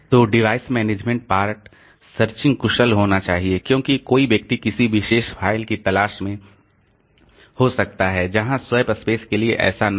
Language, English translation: Hindi, So, the device management part, searching has to be efficient because somebody may be looking for a particular file whereas for SWASP space that is not the case